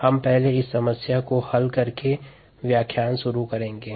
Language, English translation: Hindi, we will start this lecture by solving this problem first